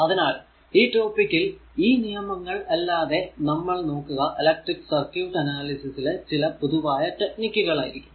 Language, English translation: Malayalam, So, in this topic actually in addition to an addition to the laws, we will also involve right some commonly applied technique electric circuit analysis